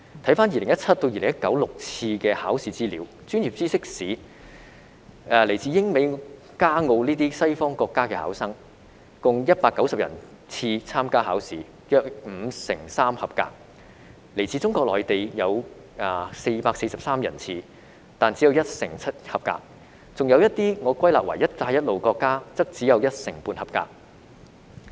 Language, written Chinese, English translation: Cantonese, 回看2017年至2019年6次的考試資料，在專業知識試，來自英美加澳等西方國家的考生，共有190人次參加考試，約五成三及格；來自中國內地的有443人次，但只有一成七及格，還有一些我歸納為"一帶一路"的國家，則只有一成半及格。, Looking back at the six examinations from 2017 to 2019 there were 190 candidates from western countries such as the United Kingdom the United States Canada and Australia for the professional knowledge part of the examination and about 53 % passed; 443 candidates from Mainland China and only 17 % passed and some candidates from Belt and Road countries and only 15 % passed